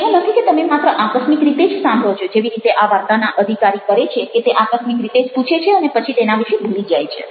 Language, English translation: Gujarati, it is not that you are just doing it casually, the way it happened with their officer in this story, the lament that he ask casually, then forgot all about it